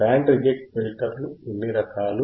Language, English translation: Telugu, What are the kinds of band reject filters